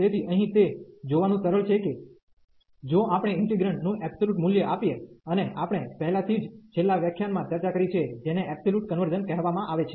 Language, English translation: Gujarati, So, here it is rather easy to see that if we take given the absolute value of the integrand, and we have discussed already in the last lecture, which is called the absolute convergence